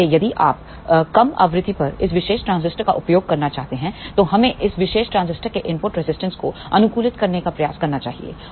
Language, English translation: Hindi, So, if you want to use this particular transistor at lower frequencies, we must try to optimize the input impedance of this particular transistor